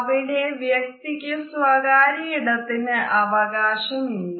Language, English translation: Malayalam, And the person cannot claim private space